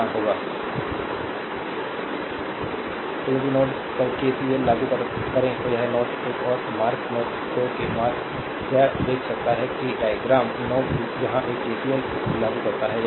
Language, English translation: Hindi, So, if you apply KCL at node one this is node one is mark node 2 is mark you can see that diagram node one you apply KCL here